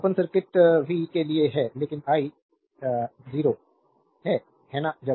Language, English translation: Hindi, So, for open circuit v is there, but i is 0, right